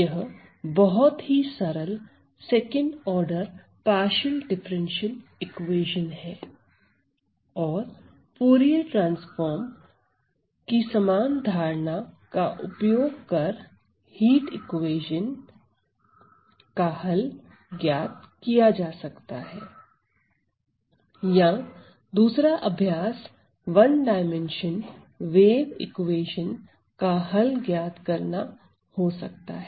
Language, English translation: Hindi, So, this is a very simple second order partial differential equation and the same idea of Fourier transform can be used to find the solution to the heat equation or another exercise could be the solution to the wave equation in 1 D